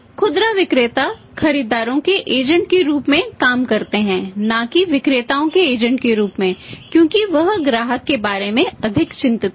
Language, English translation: Hindi, They act as retailers agents of buyers not as agents of sellers because he is more concerned about customer